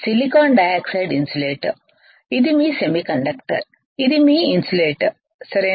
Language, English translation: Telugu, Silicon dioxide is insulator this is your semiconductor this is your insulator, right